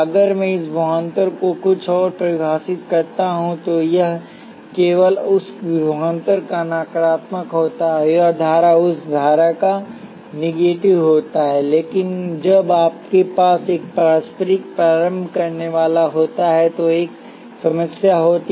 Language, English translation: Hindi, If I define this voltage something else, it is simply the negative of that voltage and this current is the negative of that current, but when you have a mutual inductor, there is a problem